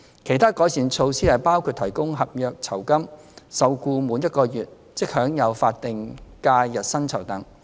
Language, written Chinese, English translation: Cantonese, 其他改善措施包括提供合約酬金，受僱滿1個月即享有法定假日薪酬等。, Other improvement measures include the entitlement to a contractual gratuity and statutory holiday pay upon employment for not less than one month